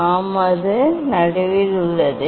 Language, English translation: Tamil, Yes, it is in middle